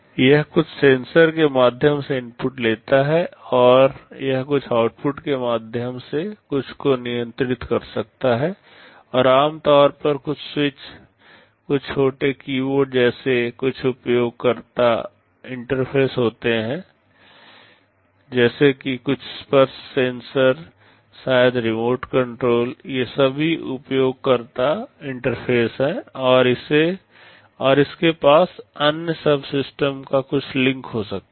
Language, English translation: Hindi, It takes inputs through some sensors, and it can control something through some outputs, and there are typically some user interfaces like some switches, some small keyboards, like some touch sensors maybe a remote control, these are all user interfaces and it can also have some links to other subsystems